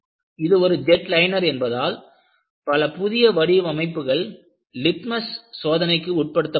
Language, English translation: Tamil, Because it is a jet liner, several novel designs were put to litmus test